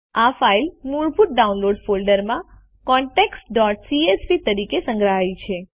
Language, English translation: Gujarati, The file is saved as contacts.csv in the default Downloads folder